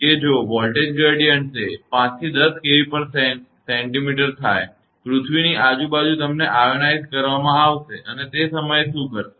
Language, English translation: Gujarati, That if the voltage gradient it becomes at 5 to 10 kilo Volt per centimeter; surrounding earth you will be ionized and at the time what will happen